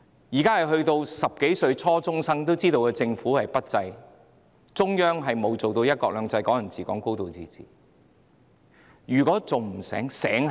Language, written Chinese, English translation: Cantonese, 現在10多歲的初中生也知道政府不濟，中央未有真正實行"一國兩制"、"港人治港"、"高度自治"，他們還不醒覺嗎？, Now even teenage junior secondary school students know that the Government is incapable; and the Central Government has not really implemented one country two systems Hong Kong people ruling Hong Kong and a high degree of autonomy . Have they not woken up yet?